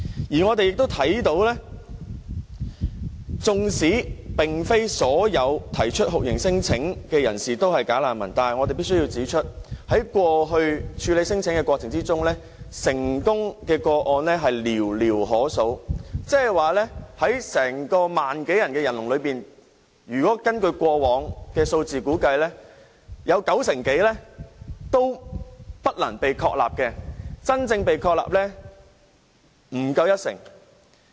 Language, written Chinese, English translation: Cantonese, 而我們亦看到，即使並非所有提出酷刑聲請的人士都是"假難民"，但我們必須指出，在過去處理聲請的過程中，成功個案是寥寥可數，即在1萬多宗申請中，根據過往的數字估計，有九成多都不能被確立，真正被確立為難民的人不足一成。, As we can see even though not all those having lodged non - refoulement claims are bogus refugees we have to point out that for cases handled in the past only very few were substantiated . Even among the some 10 000 claims more than 90 % were not substantiated according to past figures and there were less than 10 % of the claimants whose refugee status were recognized